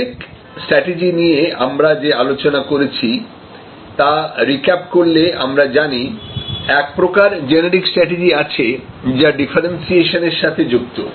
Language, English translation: Bengali, Just to recap the discussion that we have had before about generic strategies, we know that there is one generic strategies, which relates to differentiation